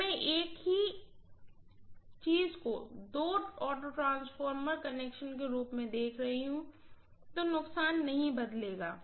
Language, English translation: Hindi, When I am looking at the same thing as an auto transformer connection, the losses will not change, I hope you understand